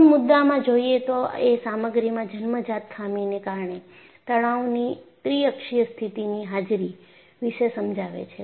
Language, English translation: Gujarati, So, the firstpoint is presence of a triaxial state of stress due to inherent flaw in the material